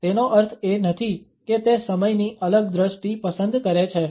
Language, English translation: Gujarati, It does not mean, however, that he prefers a different perception of time